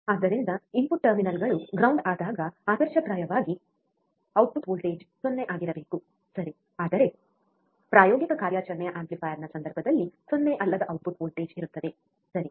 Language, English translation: Kannada, So, when the input terminals are grounded, ideally the output voltage should be 0, right, but in case of practical operational amplifier a non 0 output voltage is present, right